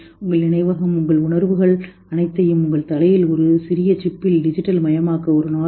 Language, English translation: Tamil, Maybe someday we are able to digitize all your memory, all your feelings, whatever things are in your head in a small chip and put it